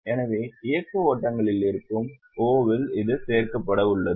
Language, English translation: Tamil, So, in O, that is in the operating flows it is going to be added